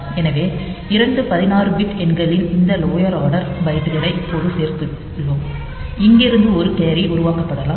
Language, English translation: Tamil, So, 2 16 bit numbers so, we just added this lower lower order byte now from here there may be one carry generated